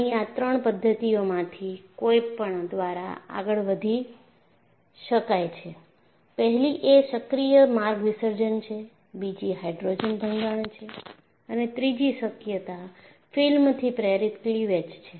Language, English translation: Gujarati, And this could advance by any of the 3 mechanisms; 1 is active path dissolution; the second possibility is Hydrogen embrittlement; and third possibility is film induced cleavage